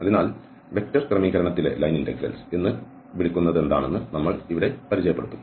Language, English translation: Malayalam, So we will introduce here that what is, what we call the line integrals in this vector setting